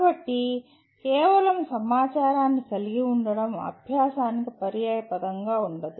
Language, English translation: Telugu, So possession of mere information is not synonymous with learning